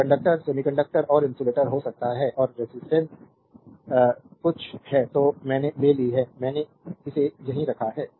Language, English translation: Hindi, So, may conductor semiconductor and insulator and there resistivity something I have taken I have kept it here right